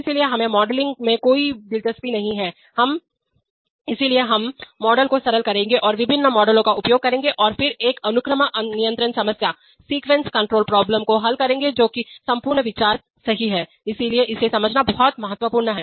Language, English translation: Hindi, So we are not interested in modeling that, therefore we will simplify the models and use different models and then solve a sequence control problem that is the whole idea right, so it is very important to understand that